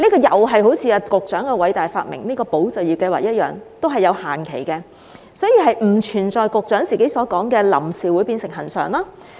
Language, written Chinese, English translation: Cantonese, 與局長的偉大發明"保就業"計劃一樣，這項津貼也有限期，因此不存在局長所提到的"臨時"會變成"恆常"。, Like the Employment Support Scheme a great invention of the Secretary this subsidy will be time - limited . There will thus be no such thing as temporary becoming permanent as referred to by the Secretary